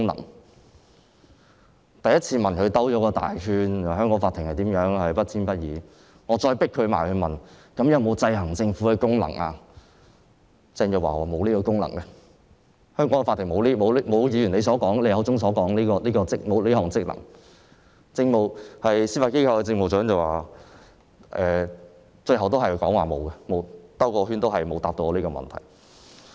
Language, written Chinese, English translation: Cantonese, 我第一次問時，政府繞了一個大圈，說香港的法庭不偏不倚，當我再追問，法庭有否制衡政府的功能時，鄭若驊說香港的法庭沒有議員口中所說的職能，而司法機構政務長最後也沒有回答我的問題。, When I had asked the question for the first time the Government beat around the bush saying that Hong Kong courts are impartial . When I had raised the question again on whether the courts still exercise the function of checking and balancing the Government Teresa CHENG said that Hong Kong courts do not exercise such function as referred to by the Honourable Member . The Judiciary Administrator also failed to answer my question in the end